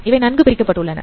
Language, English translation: Tamil, So they are well separated